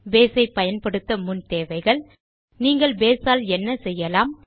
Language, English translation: Tamil, Prerequisites for using Base What can you do with Base